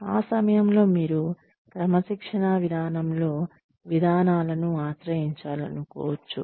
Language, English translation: Telugu, At that point, you might want to resort to procedures, within the disciplinary policy